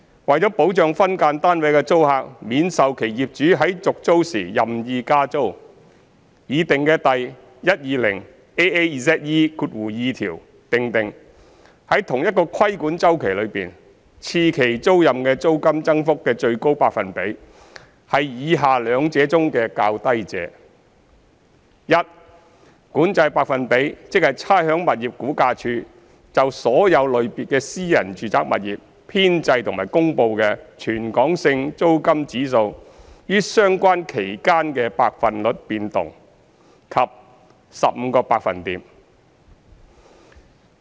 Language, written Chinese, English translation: Cantonese, 為保障分間單位的租客免受其業主在續租時任意加租，擬訂的第 120AAZE2 條訂定，在同一個規管周期中，次期租賃的租金增幅的最高百分比，是以下兩者中的較低者：一管制百分比，即差餉物業估價署就所有類別的私人住宅物業編製和公布的全港性租金指數於相關期間的百分率變動；及二 15%。, To protect SDU tenants from unwarranted rent hikes upon tenancy renewal the proposed section 120AAZE2 provides that the maximum percentage for an increase of rent for a second term tenancy in a regulated cycle is to be the lower of a the control percentage ie . the percentage change of the territory - wide rental index for all classes of private domestic properties compiled and published by the Rating and Valuation Department RVD during the relevant period; and b 15 %